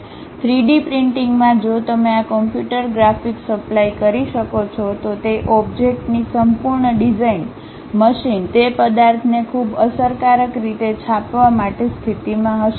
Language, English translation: Gujarati, In 3D printing, if you can supply this computer graphics, the complete design of that object; the machine will be in a position to print that object in a very effective way